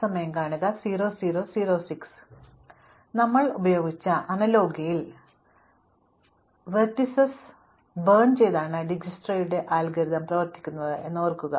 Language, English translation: Malayalam, So, recall that Dijkstra's algorithm operates by burning vertices in the analogy we used